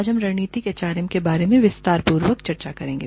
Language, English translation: Hindi, Today, we will talk more about, Strategic Human Resource Management